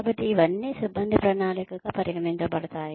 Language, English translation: Telugu, So, all that counts as personnel planning